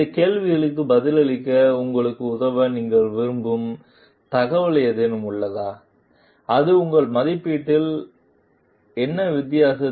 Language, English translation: Tamil, Is there any of the information you would like to have to help you answer these questions, and what is the difference would it is going to make in your assessment